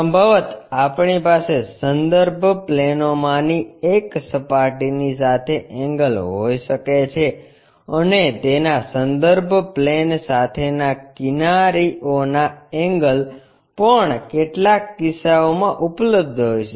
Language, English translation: Gujarati, Possibly, we may have surface inclination with one of the reference planes and inclination of its edges with reference planes also available in certain cases